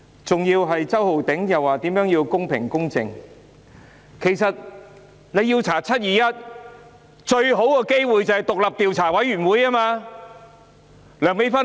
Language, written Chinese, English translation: Cantonese, 周浩鼎議員說要公平公正，其實，要調查"七二一"事件，最佳方法是成立獨立調查委員會。, Mr Holden CHOW demanded fairness and impartiality and actually the best way to investigate the 21 July incident is to establish an independent investigation committee